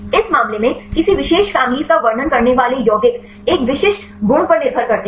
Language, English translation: Hindi, In this case, the compounds which describe any particular family depend upon a specific properties